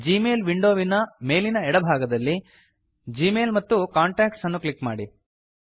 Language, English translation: Kannada, From the top left of the Gmail window, click on GMail and Contacts